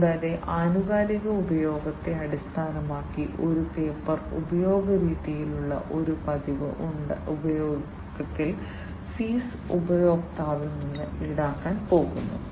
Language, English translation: Malayalam, And on a regular use on a paper use kind of basis, based on the periodic usage, the fees are going to be charged to the customer